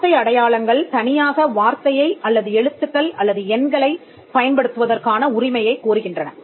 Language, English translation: Tamil, Word marks claim the right to use the word alone, or letters or numbers